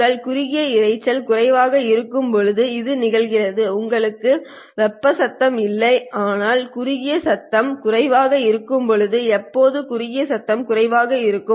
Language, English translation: Tamil, When you are short noise limited, you don't have thermal noise but when you have short noise limited, When do you get short noise limited